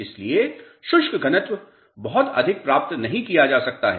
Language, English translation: Hindi, So, dry densities cannot be achieved very high